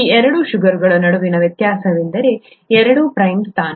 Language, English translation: Kannada, The only difference between these two sugars is the two prime position